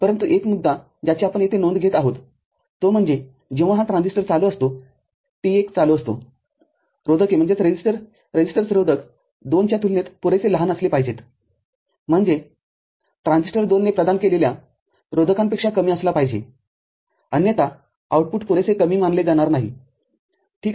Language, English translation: Marathi, But, one issue that we here take note of here, is that when this transistor is on, T1 is on, the resistors must be sufficiently small compared to resistance 2, I mean which is resistance offered by the transistor 2; otherwise the output will not be considered sufficiently low, ok